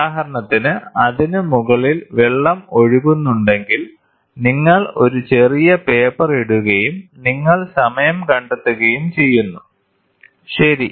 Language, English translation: Malayalam, For example, if the water is flowing and on top of it, you put a small paper, and you time it, ok